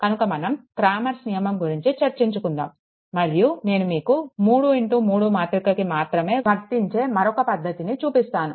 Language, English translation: Telugu, So, just cramers rule we will discuss here, and one small technique I will show you which is valid only for 3 into 3 matrix, right